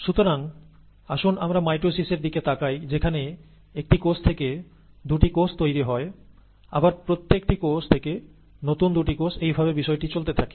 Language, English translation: Bengali, And therefore let us look at mitosis of one cell giving two cells, and each one of those giving two cells and so on and so forth